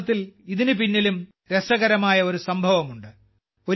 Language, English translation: Malayalam, Actually, there is an interesting incident behind this also